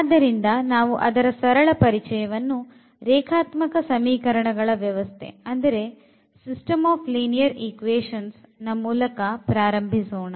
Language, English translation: Kannada, So, we will start with a very basic Introduction to the System of Linear Equations